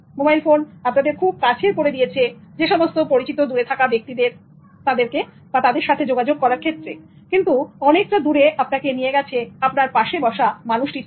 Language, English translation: Bengali, Mobile phone makes you closer to person far from you, but it takes you away from the one sitting next to you